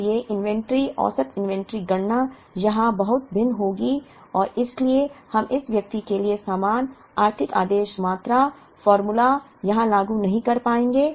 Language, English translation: Hindi, So, the inventory average inventory calculation will be very different here and therefore, we will not be able to apply the same economic order quantity formula here, for this person